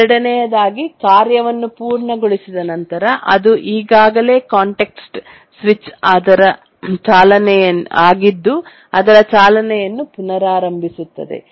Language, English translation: Kannada, And the second on completion of the task, the one that was already context switched resumes its run